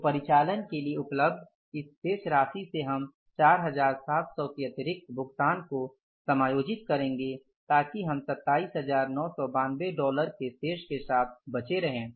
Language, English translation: Hindi, So, from this balance available for operations, we will adjust this extra payment of 4,700s